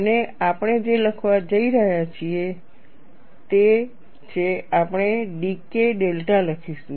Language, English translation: Gujarati, And what we are going to write is we will write dK delta